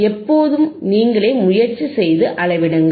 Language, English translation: Tamil, Always try to do yourthe measurements by yourself